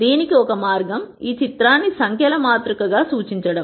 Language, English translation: Telugu, One way to do that would be to represent this picture as a matrix of numbers